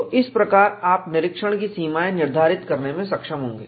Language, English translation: Hindi, So, this way, you would be able to decide the inspection limits